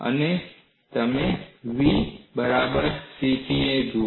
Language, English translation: Gujarati, And you look at v equal to CP